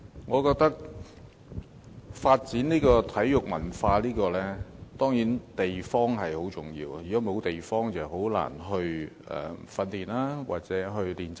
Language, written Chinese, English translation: Cantonese, 我認為要發展體育文化，地方當然很重要，如果沒有地方，便難以進行訓練或練習。, In my opinion venues are definitely crucial to the development of sports culture . Without venues it will be difficult for any training or practice to take place